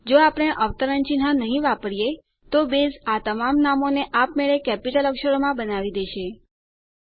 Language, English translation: Gujarati, If we dont use the quotes, Base will automatically convert all names into upper cases